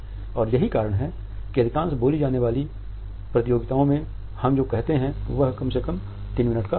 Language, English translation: Hindi, And that is why in most of the spoken competitions the time which we said is at least 3 minutes